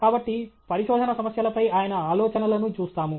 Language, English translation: Telugu, So, his ideas on research problems